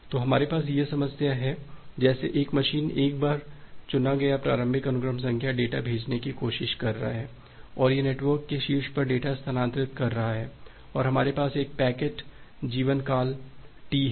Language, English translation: Hindi, Well so this is the problem that we have, like once a particular machine it is once a particular machine it is trying to send the data it has chosen one initial sequence number, and it is transferring the data on top of the network and we have a packet lifetime T